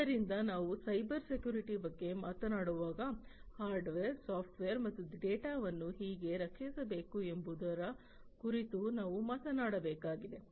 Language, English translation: Kannada, So, when we are talking about Cybersecurity we need to talk about how to protect the hardware, how to protect the software and how to protect the data